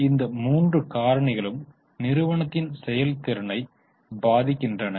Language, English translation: Tamil, Now, all these three factors impact the performance of the company